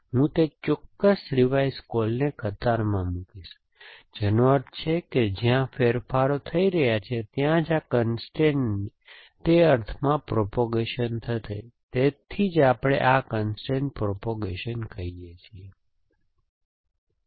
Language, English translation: Gujarati, So, I will put that particular revise call in the queue which means only where changes are matter are happening this constraint will it propagated in that sense that is why we call this constraint propagation